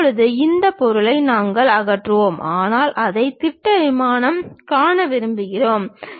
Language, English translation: Tamil, Now, this object we remove, but we would like to really view that on the projection plane